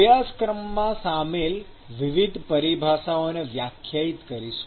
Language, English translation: Gujarati, Various terminologies involved in the course will be defined